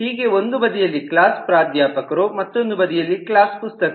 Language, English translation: Kannada, so one side there is a class professor, other side there is a class book